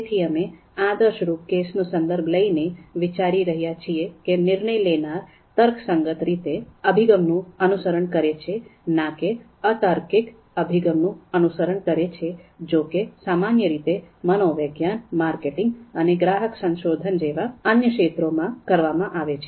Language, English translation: Gujarati, So we are looking at the ideal case scenario, therefore we are considering that decision makers are going to be rational, you know going to follow rational approach, instead of the irrational approach that is typically studied in the other fields of psychology, marketing and consumer research